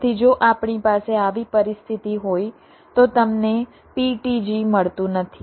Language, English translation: Gujarati, so if we have a situation like this, you do not get a ptg